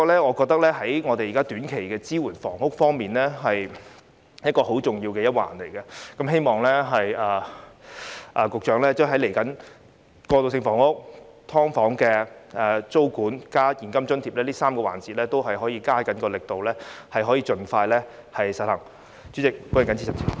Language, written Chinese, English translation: Cantonese, 我覺得在房屋的短期支援方面，這是很重要的一環，希望未來在過渡性房屋、"劏房"租管和現金津貼這3個範疇，局長也可以加大力度，盡快實行。, This I think is a major component of short - term housing support . I hope that in respect of transitional housing tenancy control of subdivided units and cash allowance the Secretary can step up efforts to implement these three proposals expeditiously